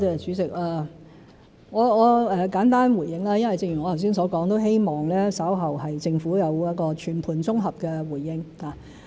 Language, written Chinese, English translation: Cantonese, 主席，我簡單回應，因為正如我剛才所說，都希望稍後政府有一個全盤綜合的回應。, President let me give a brief response because as I have said earlier I want the Government to give a comprehensive response later on